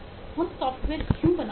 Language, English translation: Hindi, why do we make software